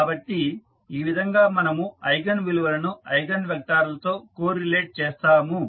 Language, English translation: Telugu, So, this is how we correlate the eigenvalues and the eigenvectors